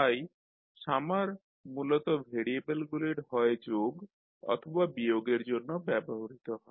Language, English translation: Bengali, So summer is basically used for either adding or subtracting the variables